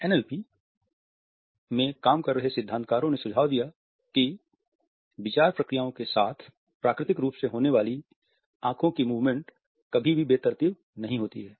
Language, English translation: Hindi, Theorist were working in the area of NLP suggest that the natural eye movements that accompany thought processes are never random